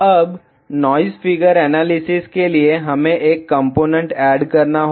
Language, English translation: Hindi, Now, for noise figure analysis, we need to add a component